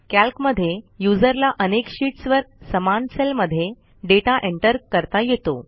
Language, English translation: Marathi, Calc enables a user to enter the same information in the same cell on multiple sheets